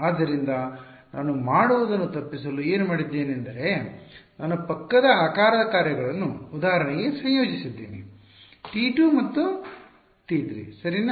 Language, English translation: Kannada, So, to avoid having to do that what I am what I have done is I have combined adjacent shape functions into for example, say T 2 and T 3 ok